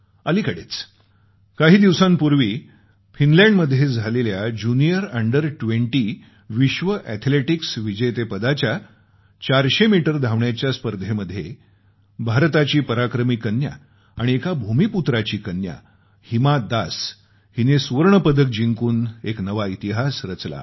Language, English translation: Marathi, Just a few days ago, in the Junior Under20 World Athletics Championship in Finland, India's brave daughter and a farmer daughter Hima Das made history by winning the gold medal in the 400meter race event